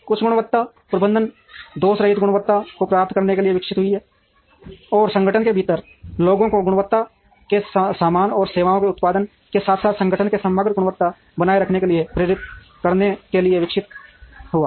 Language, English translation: Hindi, Total quality management evolved to achieve flawless quality, and to motivate people within the organization towards producing quality goods and services, as well as to maintain the overall quality in the organization